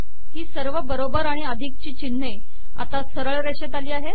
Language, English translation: Marathi, All these equal signs and plus signs are aligned now